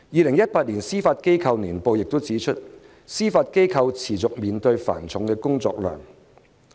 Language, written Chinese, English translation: Cantonese, 《香港司法機構年報2018》亦指出，司法機構持續面對繁重的工作量。, The Hong Kong Judiciary Annual Report 2018 also pointed out that the Judiciary is constantly faced with heavy workload